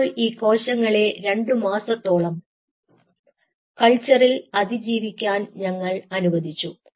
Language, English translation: Malayalam, so we allow these cells to survive in a culture for two months, first of all